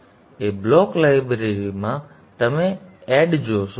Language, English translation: Gujarati, So in the A block library you see add